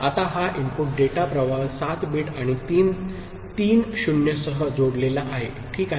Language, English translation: Marathi, Now, this is the input data stream 7 bit and 3 appended with three 0s, ok